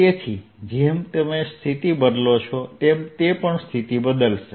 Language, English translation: Gujarati, so as you change the position, they also change